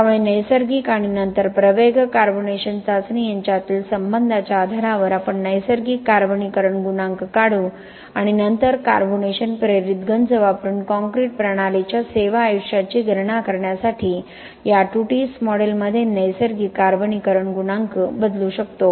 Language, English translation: Marathi, So based upon the relationship between the natural and then accelerated carbonation test we will derive the natural carbonation coefficient and then we can substitute that natural carbonation coefficient in this Tutis model to calculate the service life of the concrete system using carbonation induced corrosion